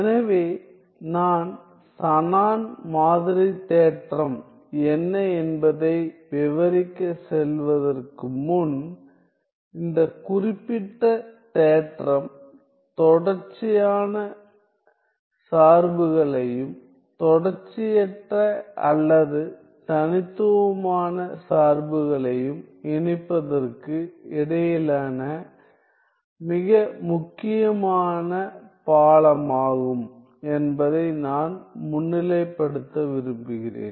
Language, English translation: Tamil, So, before I move on to describe what is the Shannon sampling theorem; I just want to highlight that, this theorem this particular result is a very important bridge between connecting continuous functions and discontinuous or discrete functions